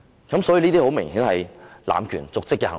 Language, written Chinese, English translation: Cantonese, 這些很明顯是濫權瀆職的行為。, Obviously their acts constitute abuse of power and dereliction of duty